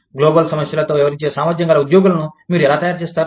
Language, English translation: Telugu, How do you, make the employees, capable of dealing with these, global problems